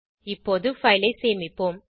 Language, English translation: Tamil, Let us now save the file